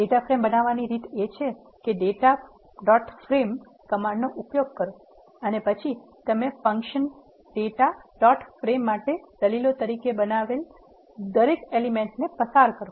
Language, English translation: Gujarati, The way you create the data frame is use the data dot frame command and then pass each of the elements you have created as arguments to the function data dot frame